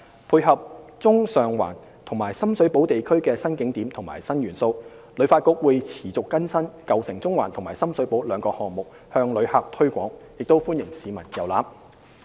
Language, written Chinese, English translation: Cantonese, 配合中上環及深水埗地區的新景點及新元素，旅發局會持續更新"舊城中環"及"深水埗"兩個項目，向旅客推廣，亦歡迎市民遊覽。, HKTB will continue to enrich the contents of the Old Town Central and Sham Shui Po promotions leveraging new attractions and new elements in Central and Sheung Wan as well as Sham Shui Po inviting visitors and locals to explore the districts